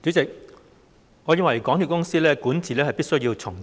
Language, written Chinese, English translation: Cantonese, 主席，我認為香港鐵路有限公司的管治必須重整。, President I consider it essential to restructure the governance of the MTR Corporation Limited MTRCL